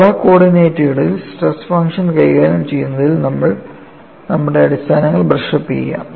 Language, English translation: Malayalam, Now, let us brush up our fundamentals in handling stress function in polar coordinates